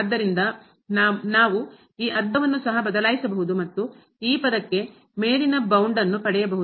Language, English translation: Kannada, So, we can replace this half also and get the upper bound for this term